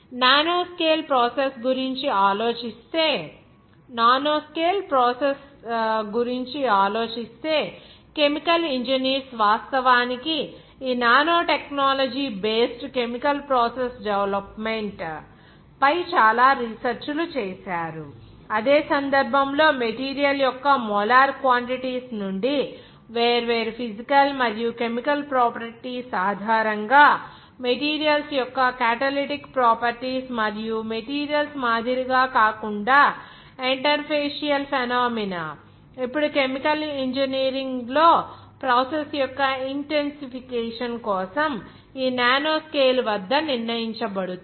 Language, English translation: Telugu, Thinking of that nanoscale a processes chemical engineers, they have actually did lot of research on this nanotechnology based chemical process development just by based on the different physical and chemical properties from the molar quantities of the same material in that case catalytic properties of the materials and interfacial phenomena between unlike materials are now it is determined at this nanoscale for the intensification of the process in chemical engineering